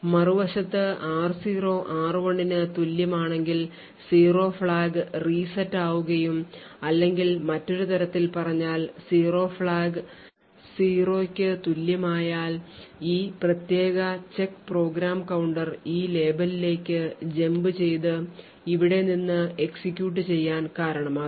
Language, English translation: Malayalam, On the other hand if r0 is not equal to r1 then the 0 flag is reset or in other words the 0 flag is equal to 0 and this particular check would cause the program counter to jump to this label and start to execute from here, or in other words what we see over here is a value of 0 flag set to 1 would cause these instructions to be executed